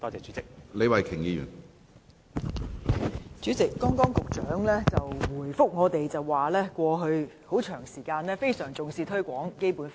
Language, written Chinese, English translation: Cantonese, 主席，副局長剛才回答我們說，在過去一段很長時間，當局也非常重視推廣《基本法》。, President in his reply earlier the Under Secretary told us that the authorities have over a long period of time attached great importance to the promotion of the Basic law